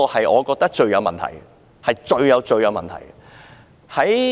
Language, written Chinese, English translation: Cantonese, 我覺得這是最有問題的。, I think this is the biggest problem